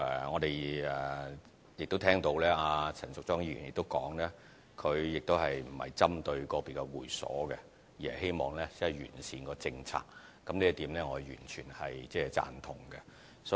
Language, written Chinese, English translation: Cantonese, 我們聽到陳淑莊議員亦提到，她不是針對個別的會所，而是希望完善政策，這一點我完全贊同。, Ms Tanya CHAN also mentions that she is not picking on individual private clubs but just hopes that the policy can be improved and I totally agree with her